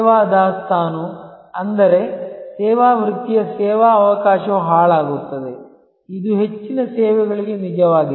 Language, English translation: Kannada, Service inventory; that means, the service opportunity of the service vocation is perishable, which is true for most services